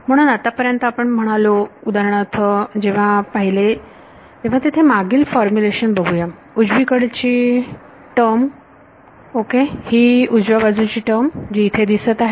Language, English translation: Marathi, So, far we just said, when we looked at for example, the previous formulations over here let us see, the right hand side term right, this is the right hand side term that I had